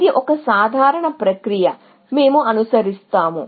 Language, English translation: Telugu, So, this is a simple process, we will follow